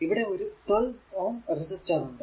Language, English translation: Malayalam, There is a this is a 12 ohm ah resistance here